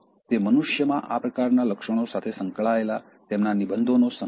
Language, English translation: Gujarati, It is a collection of his essays dealing with this kind of traits in human beings